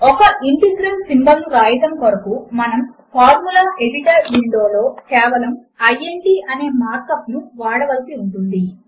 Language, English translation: Telugu, To write an integral symbol, we just need to use the mark up int in the Formula Editor Window